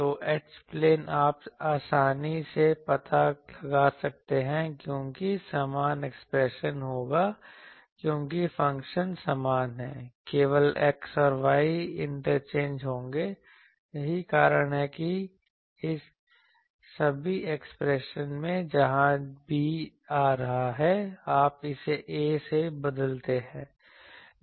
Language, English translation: Hindi, So, H plane you can easily find out because same things that the all these terms will be similar expressions because the function is same only the x and y are interchanged that is why in all this expression, where b is coming; you replace it by a, you get the these things